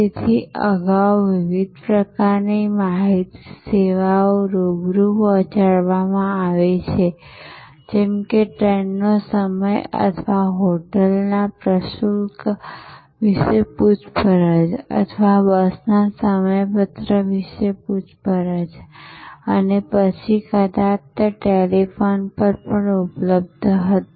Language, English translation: Gujarati, So, different kinds of information services earlier have been delivered face to face, like the train running time or query about a hotel tariff or enquiry about bus schedule and so on and then maybe they were available over telephone